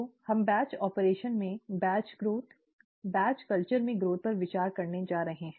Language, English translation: Hindi, So, we are going to consider batch growth, growth in a batch culture, in a batch operation